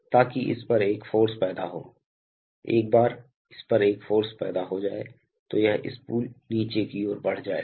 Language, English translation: Hindi, So that creates a force on this, once it creates a force on this, this spool will move downward